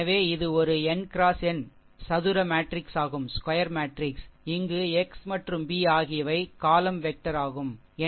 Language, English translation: Tamil, So, is a square matrix n into n matrix, where x and b are column vector that is n into 1 matrices, right